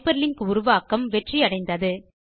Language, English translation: Tamil, This means that the hyperlinking was successful